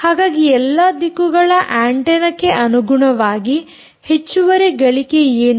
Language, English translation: Kannada, and therefore, with respect to the omni directional antenna, what is the additional gain